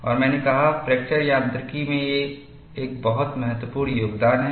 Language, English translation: Hindi, And I said, it is a very important contribution to fracture mechanics